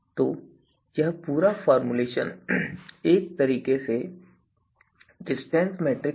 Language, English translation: Hindi, All right so so this is the whole formulation is in a way a kind of distance metric